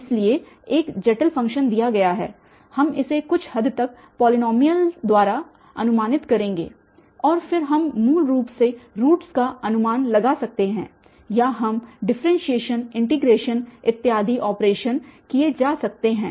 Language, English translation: Hindi, So, given a complicated function we will approximate it by some polynomial of some degree and then we can approximate basically the roots or we can do differentiation, integration etcetera such operations can be performed